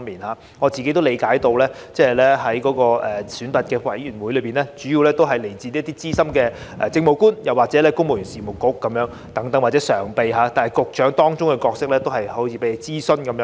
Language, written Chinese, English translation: Cantonese, 據我理解，這個晉升選拔委員會的成員主要來自資深政務官，主席是由公務員事務局局長或該局常任秘書長出任，但問責局長在當中的角色好像只有被諮詢。, As I understand a promotion board mainly consists of veteran Administrative Officers as members with the Secretary for the Civil Service or the Permanent Secretary of that Bureau as Chairman but the accountable Directors of Bureaux only play the role of being consulted